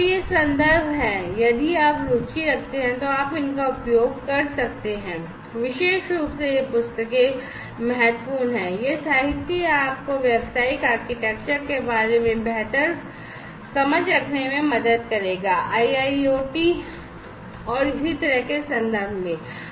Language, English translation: Hindi, So, these are these references if you are interested you may go through them particularly these books are important this literature this will help you to have better understanding about the business architecture, in the context of IIoT and so on